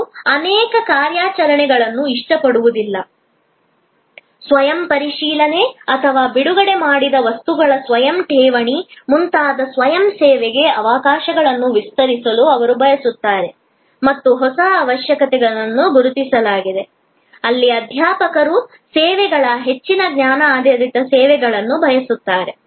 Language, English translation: Kannada, They would not like multiple operations, they would like to expand the opportunities for self service like self check out or self depositing of issued books and there was a new set of requirements identified, where faculty as well as students wanted more knowledge based services